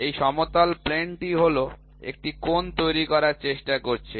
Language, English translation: Bengali, So, this flat plane is trying to make an angle